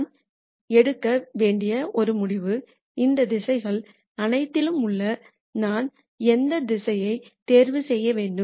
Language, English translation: Tamil, The one decision that I need to make is of all of these directions, what direction should I choose